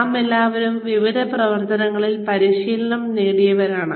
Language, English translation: Malayalam, We are all trained in various functions